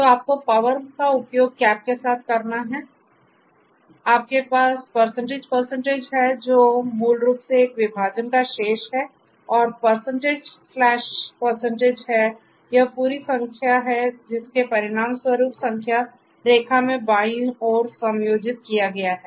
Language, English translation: Hindi, So, you have to use this power with the cap then you have double percentage which is basically the remainder of a division and this percentage slash percentage basically this is the division resulting in a whole number adjusted to the left in the number line